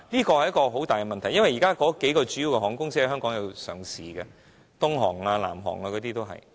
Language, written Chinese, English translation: Cantonese, 這是一個大問題，因為國內數間主要航空公司已在香港上市，如東航、南航等。, This is a big question as a few major Mainland airlines are listed in Hong Kong such as China Eastern Airlines and China Southern Airlines and so on